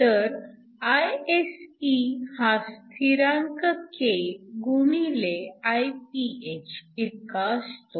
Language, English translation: Marathi, So, Isc is essentially some constant k times Iph